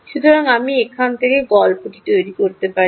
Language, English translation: Bengali, so this: i can build the story from here